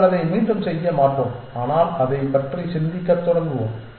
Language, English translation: Tamil, We will not repeat it but we will just start thinking about it essentially